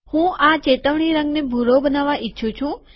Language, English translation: Gujarati, I want to make this alerted color blue